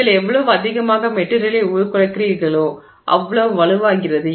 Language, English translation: Tamil, So, the more you deform the material the stronger it becomes